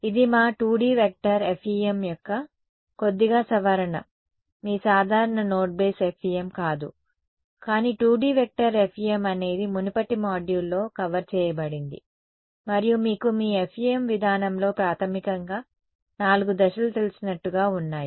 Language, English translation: Telugu, So, this is a little bit of revision of our 2D vector FEM not the your regular note base FEM, but 2D vector FEM is what was covered in a previous module and as you know that there are basically four steps in your FEM approach